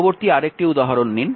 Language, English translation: Bengali, Next take another example ah